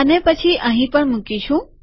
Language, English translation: Gujarati, And then we will put it here also